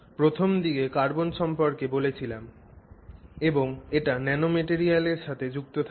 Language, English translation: Bengali, I mean to carbon at its initial description and how it relates to nanomaterials associated with carbon